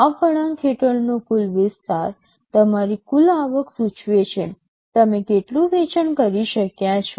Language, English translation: Gujarati, The total area under this curve will denote your total revenue, how much total sale you have been able to do